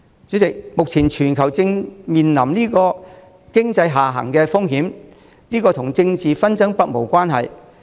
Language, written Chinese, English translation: Cantonese, 主席，目前全球正面臨經濟下行的風險，這跟政治紛爭不無關係。, Chairman the risk of a global economic downturn is looming and this has something to do with political disputes